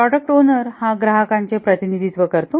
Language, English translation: Marathi, The product owner is the one who represents the customer